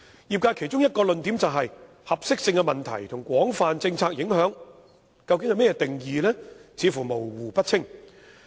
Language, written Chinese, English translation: Cantonese, 業界其中一項論點，是"合適性問題"及"廣泛政策影響"的定義為何，認為模糊不清。, The industry has raised one point about the definitions of suitability issues and broad policy implications maintaining that the two expressions are ambiguous and unclear